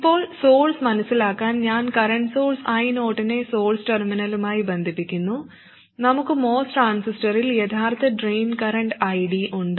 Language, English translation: Malayalam, Now to sense at the source, I connect the current source I not to the source terminal and we have the actual drain current ID in the most transistor